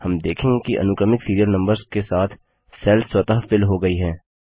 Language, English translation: Hindi, We see that the cells automatically get filled with the sequential serial numbers